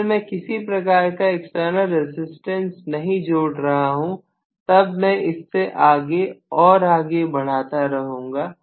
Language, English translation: Hindi, If I do not include any external resistance, I have to just extend it further and further